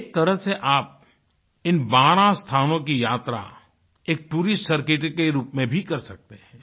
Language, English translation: Hindi, In a way, you can travel to all these 12 places, as part of a tourist circuit as well